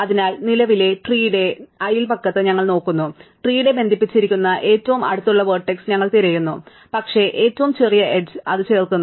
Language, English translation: Malayalam, So, we look in the neighbourhood that the current tree, we look for the nearest vertex which is connected to the tree, but the shortest edge and we add it